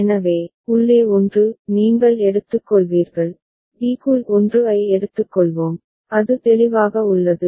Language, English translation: Tamil, So, inside the 1 you will take the, inside b we will take the 1, is it clear